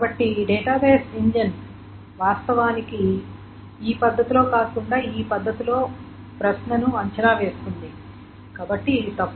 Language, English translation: Telugu, So this is going to be the database engine will actually evaluate the query in this manner and not this manner